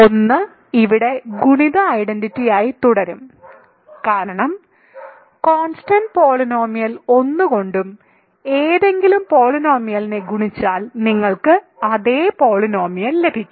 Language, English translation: Malayalam, So, 1 will continue to be multiplicative identity here because if you multiply any polynomial by the constant polynomial 1 you get 1